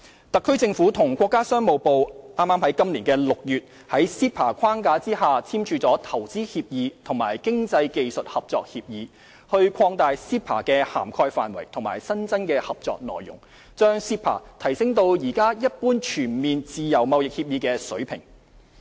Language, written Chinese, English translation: Cantonese, 特區政府與國家商務部剛於今年6月在 CEPA 框架下簽署《投資協議》及《經濟技術合作協議》，擴大 CEPA 的涵蓋範圍和新增合作內容，將 CEPA 提升至現時一般全面自由貿易協議的水平。, In June 2017 the HKSAR Government and the Ministry of Commerce signed the Investment Agreement and Agreement on Economic and Technical Cooperation under the framework of CEPA which expands the scope of CEPA and includes new cooperation programmes in order to enhance CEPA in line with a modern and comprehensive free trade agreement